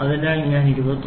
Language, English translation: Malayalam, So, now, it is 23